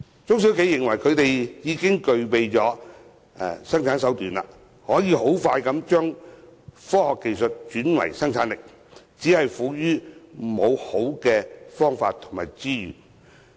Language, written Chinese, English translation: Cantonese, 許多中小企具備生產條件，可以快速把科學技術轉為生產力，只是礙於沒有充足資源拓展。, Many SMEs possess the conditions to engage in production and they can turn science and technology into productivity quickly; yet they just do not have sufficient resources for development